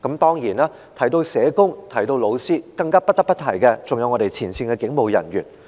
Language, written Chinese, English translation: Cantonese, 當然，提到社工和老師，更不得不提前線警務人員。, Surely teachers and social workers aside we should not leave out frontline police officers